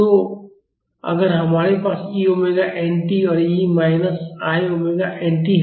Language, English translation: Hindi, So, if we have e i omega nt and e minus i omega nt